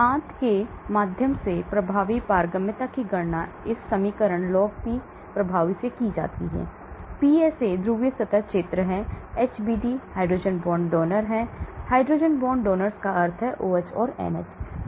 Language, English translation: Hindi, And the effective permeability through the intestine is calculated from this equation log P effective, PSA is polar surface area, HBD is hydrogen bond donors, hydrogen bond donors means OH or NH